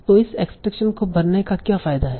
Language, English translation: Hindi, Now what is the, so what is the use of doing this extraction